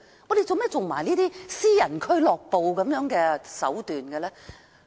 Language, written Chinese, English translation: Cantonese, 港鐵公司為何要耍私人俱樂部的手段？, Why should MTRCL play tricks as if it was a private club?